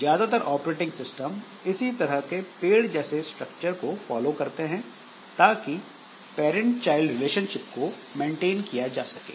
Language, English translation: Hindi, So, most of the operating system they follow this type of tree type of structure so that this parent child relationship is maintained